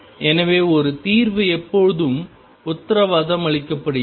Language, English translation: Tamil, So, one solution is always guaranteed